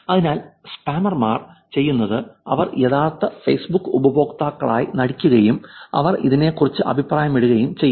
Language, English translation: Malayalam, Therefore, what scammers do is that they actually pretend to be Facebook users so they can comment on this